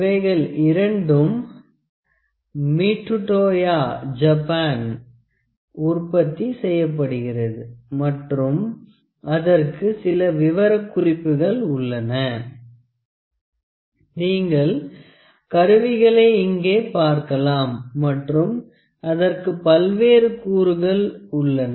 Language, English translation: Tamil, These are both manufactured by MitutoyoJapan and they have certain specifications, you can see the instrument here, it has various components